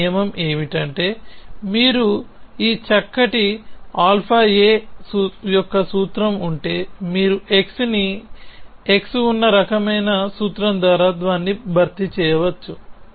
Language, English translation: Telugu, What this rule says that, if you have a formula of this fine alpha a, you can replace it by a formula of the kind there exist x, x